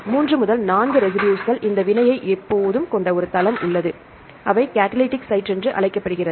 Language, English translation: Tamil, 3 to 4 residue, there are the site which ever having this reaction this is called a catalytic site right